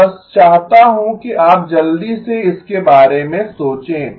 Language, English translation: Hindi, I just want you to quickly think about